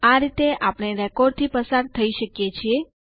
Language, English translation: Gujarati, This way we can traverse the records